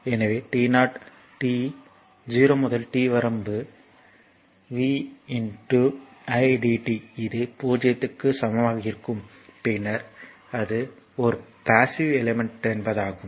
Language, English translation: Tamil, So, t 0 to t limit it is vi dt it will be greater that equal to 0, then you can say it is a passive elements